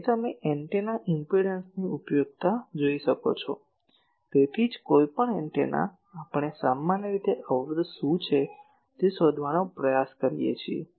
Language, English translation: Gujarati, So, you see the usefulness of antennas impedance, that is why any antenna, we generally try to find what is the impedance